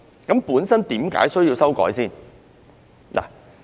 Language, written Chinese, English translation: Cantonese, 究竟為何需要修訂？, Why is it necessary to make amendments?